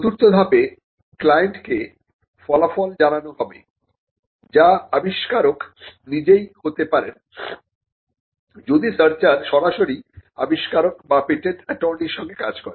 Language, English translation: Bengali, And the fourth step would be to report the results to the client, which could be the inventor himself, if the searcher is directly dealing with the inventor or the patent attorney